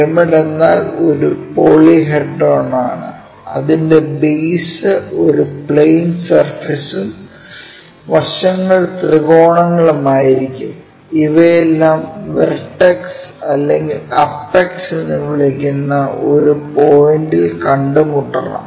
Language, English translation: Malayalam, A pyramid is a polyhedra formed by plane surface as it is base and a number of triangles as it is side faces, all these should meet at a point called vertex or apex